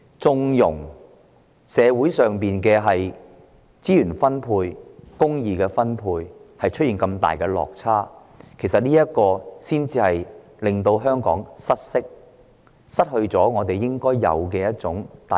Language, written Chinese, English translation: Cantonese, 縱容社會資源的分配出現重大落差，只會令香港失色、失去互相包容的空間。, Turning a blind eye to the extremely unfair allocation of social resources will take the shine off Hong Kong and leave no room for accommodation